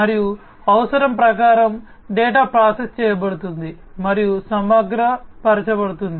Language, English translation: Telugu, And as per the requirement, the data is processed and aggregated